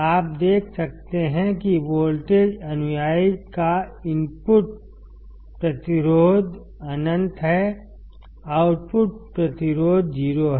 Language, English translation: Hindi, You can see that the input resistance of the voltage follower; is infinite; output resistance is 0